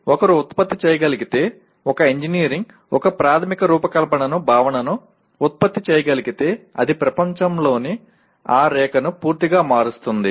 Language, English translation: Telugu, If one can produce, if an engineer can produce a fundamental design concept it just changes that line of world completely